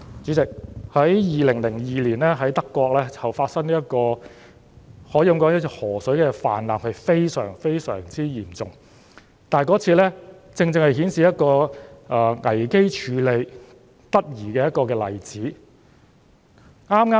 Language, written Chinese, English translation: Cantonese, 主席，在2002年，德國發生了非常嚴重的河水泛濫事件，而那正正是危機處理得宜的例子。, President in 2002 the serious flood that occurred at a river in Germany is precisely an example of proper crisis management